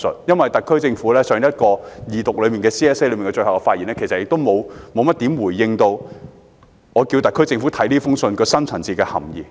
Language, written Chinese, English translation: Cantonese, 因為特區政府在全體委員會審議階段動議修正案時的總結發言，其實沒有怎樣回應我的要求，看看這封信的深層次含意。, The concluding speech of the SAR Government at the time of moving the amendments at the Committee stage has failed to respond to my request for pondering the underlying message of the letter